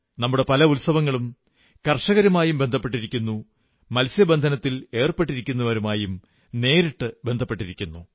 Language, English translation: Malayalam, Many of our festivals are linked straightaway with farmers and fishermen